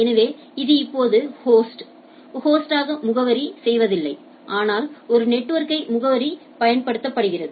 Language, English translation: Tamil, So, it now does not address host by host, but address a network